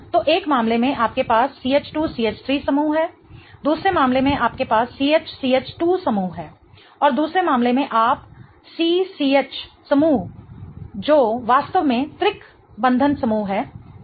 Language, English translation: Hindi, So, in one case you have a CH2 CH3 group, in the other case you have a CH CH2 group and in the other case you have a C group which is really the triple bonded group right